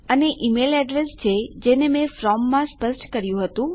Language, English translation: Gujarati, And we have the email address that I specified from